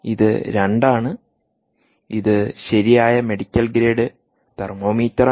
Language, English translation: Malayalam, this is the same one again, right, medical grade, thermo meter